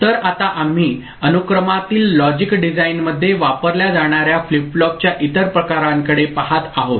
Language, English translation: Marathi, So, now we look at other varieties of flip flop that is used in the sequential logic design